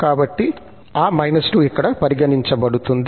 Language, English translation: Telugu, So, that minus 2 is considered here